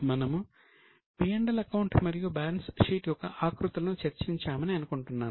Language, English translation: Telugu, I think we have discussed the formats of P&L and balance sheet